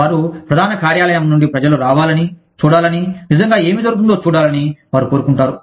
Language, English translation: Telugu, They want people from the headquarters, to come and see, what is really going on